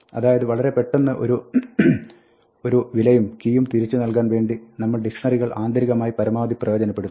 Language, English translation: Malayalam, So, dictionaries are optimized internally to return the value with a key quickly